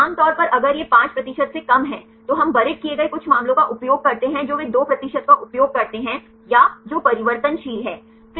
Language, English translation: Hindi, Generally if it is less than 5 percent, we use a buried some cases they use 2 percent or that is changeable